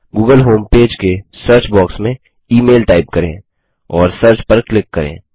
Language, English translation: Hindi, In the search box of the google home page, type email .Click Search